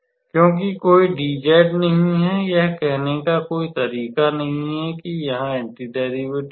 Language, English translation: Hindi, Because there is no dz; there is no how to say that anti derivative form here